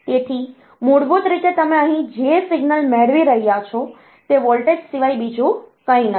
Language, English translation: Gujarati, So, basically the signal that you are getting here is nothing but a voltage